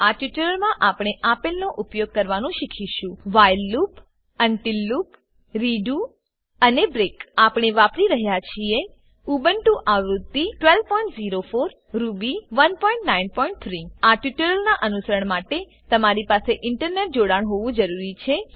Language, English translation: Gujarati, In this tutorial we will learn to use while loop until loop redo and break We are using Ubuntu version 12.04 Ruby 1.9.3 To follow this tutorial, you must have Internet Connection